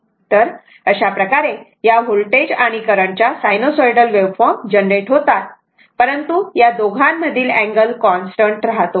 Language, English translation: Marathi, So, this way suppose this sinusoidal waveform voltage and current both are generated, but angle between these 2 are remain same